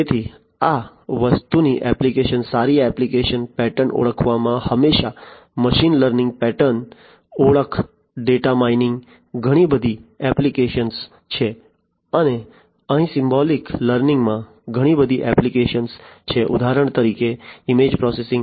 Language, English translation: Gujarati, So, applications of this thing good applications would be in pattern recognition, machine learning has lot of applications in pattern recognition, data mining, and here symbolic learning has lot of applications in for example, image processing, image processing